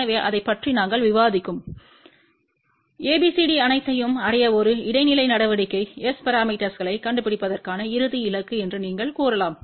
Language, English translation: Tamil, So, you can say that all that ABCD we discuss about that was an intermediate step to reach the final goal of finding S parameters